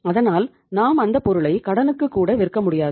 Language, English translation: Tamil, So we would not be able to sell it even on credit